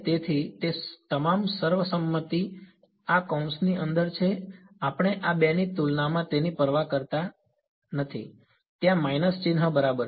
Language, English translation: Gujarati, So, all those consensus are inside this bracket we do not care about it relative to these two there is a minus sign ok